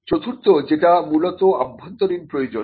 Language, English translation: Bengali, Fourthly, which is more of an internal requirement